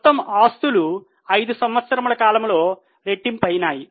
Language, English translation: Telugu, Total assets, they are nearly doubled over a period of five years